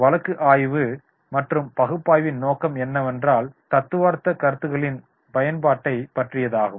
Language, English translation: Tamil, The objectives of the case study and analysis is application of theoretical concepts